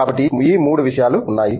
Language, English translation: Telugu, So, all these 3 things are there